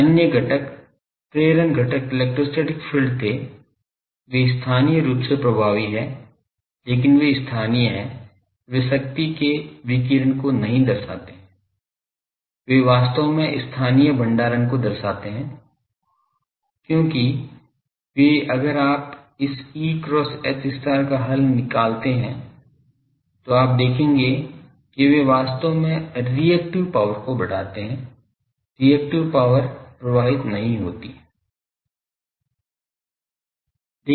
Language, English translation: Hindi, Other components was induction fields electrostatic fields, they are effective locally, but they are locally they do not represent radiation of power, they actually represent local storage, because they are if you do this E cross H star business there, then you will see that they actually give raise to reactive power, reactive power does not flow